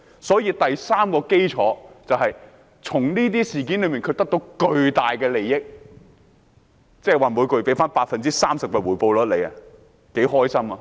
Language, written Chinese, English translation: Cantonese, 所以第三個核心原則就是從這些事件上得到巨大的利益，即每月獲得 30% 的回報率，多開心！, Well the third core principle is to get huge advantages from these incidents just like getting a monthly return of 30 % . How delightful!